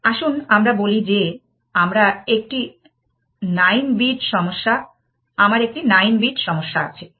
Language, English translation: Bengali, Let us say, I have a 9 bit problem, 9 bit S A T